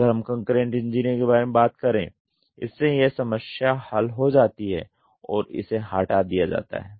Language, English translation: Hindi, When we talked about concurrent engineering this problem is tackled and it is removed